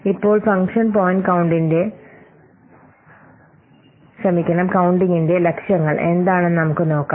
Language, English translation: Malayalam, Now let's see what are the objectives of function point counting